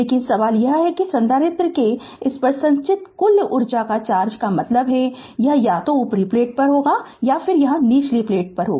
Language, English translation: Hindi, But question is that when you say that total charge accumulated on this of the capacitor means it is either upper plate or at the lower plate right